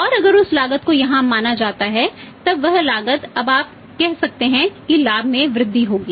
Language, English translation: Hindi, And if that cost is considered here then that cost will be now you can say that will for the increase the profit